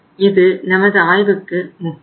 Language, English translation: Tamil, That is important for us for the analysis